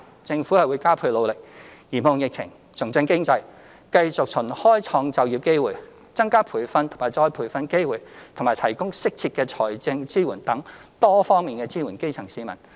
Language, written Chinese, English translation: Cantonese, 政府會加倍努力嚴控疫情，重振經濟，繼續循開創就業機會、增加培訓及再培訓機會和提供適切的財政支援等多方面支援基層市民。, The Government will put in extra efforts to contain the epidemic and revive the economy and at same time support the grass roots by creating more jobs increasing training and retraining opportunities and providing financial support as appropriate